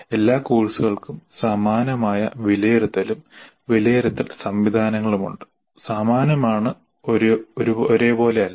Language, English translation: Malayalam, All courses have similar assessment and evaluation mechanism, not identical but similar